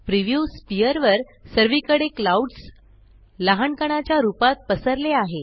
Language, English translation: Marathi, All over the preview sphere the clouds are spread as small bumps